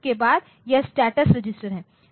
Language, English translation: Hindi, Then there is one status register